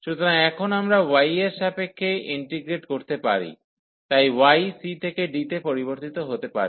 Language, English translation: Bengali, So, now we can integrate with respect to y, so y will vary from c to d